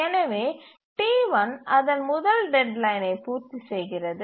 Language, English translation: Tamil, Therefore, T1 meets its first deadline